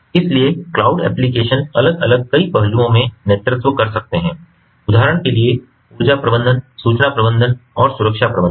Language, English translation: Hindi, so cloud applications can take a lead in different several aspects, for example, with respect to energy management, information management and security management